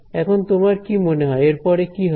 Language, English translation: Bengali, Now, what you think would be next